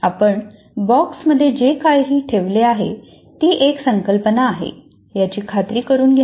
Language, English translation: Marathi, You should make sure whatever you put inside the box is actually a concept